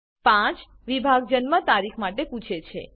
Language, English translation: Gujarati, The item 5 section asks for date of birth